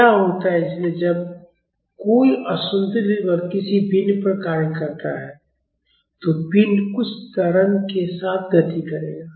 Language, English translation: Hindi, What happens, so when an unbalanced force acts on a body, the body will move with some acceleration